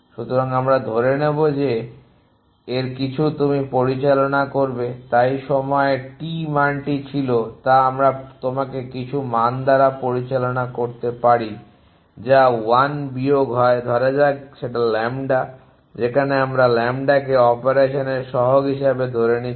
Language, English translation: Bengali, So, we will assume that some of it will you operate so whatever the value was at time T it we get you operate by some value which is 1 minus let us a lambda where lambda we will calls as a coefficient of you operation